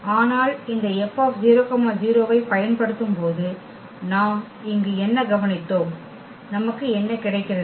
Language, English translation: Tamil, But what we observed here then when we apply this F on 0 0, what we are getting